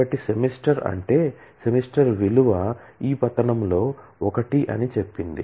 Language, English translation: Telugu, So, it says the semester in so which means the value of the semester is be one of this fall